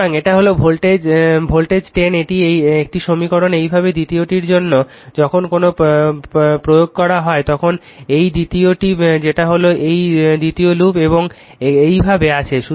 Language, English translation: Bengali, So, this is the voltage 10 exist this is one equation, similarly for your second one, when you apply your what you call now this is the second your what you call this is the second loop and you are covering like this